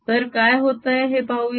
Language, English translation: Marathi, so let's see what is happening